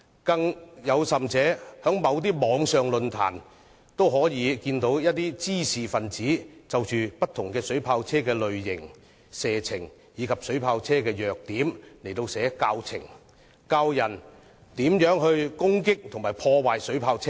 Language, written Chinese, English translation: Cantonese, 更甚者，在某些網上論壇中，一些滋事分子就着不同水炮車的類型、射程和弱點編寫教程，教導別人如何攻擊及破壞水炮車。, Worse still on certain Internet forums some troublemakers compiled teaching programmes about the types ranges and weaknesses of different water cannon vehicles to teach people how to attack and damage water cannon vehicles